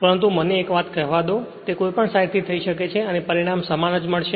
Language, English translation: Gujarati, But let me tell you one thing, it can be done on either side; you will get the same result right